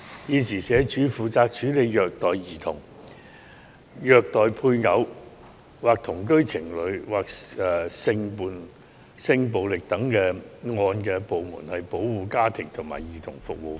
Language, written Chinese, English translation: Cantonese, 現時，社署負責處理虐待兒童、虐待配偶/同居情侶或性暴力等個案的部門是保護家庭及兒童服務課。, At present the Family and Child Protective Services Units under SWD are responsible for cases of child abuse and spousecohabitant battering